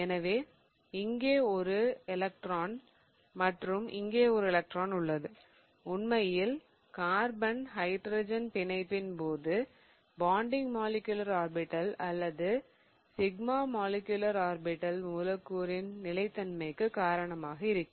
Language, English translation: Tamil, So, I have one electron here and one electron here and in fact the bonding molecular orbital or the sigma molecular orbital in the case of carbon hydrogen bond is going to be responsible for the stability